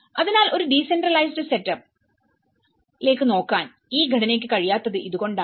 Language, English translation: Malayalam, So, this is how the structure has unable to look into a decentralized setup